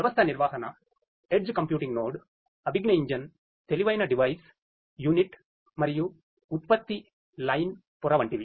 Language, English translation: Telugu, Such as the system management, edge computing node, cognitive engine, intelligent device, unit and production line layer